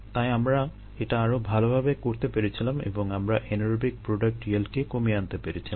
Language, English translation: Bengali, so we were able to do that much better and we could reduce the anaerobic product yieldso these things could also be done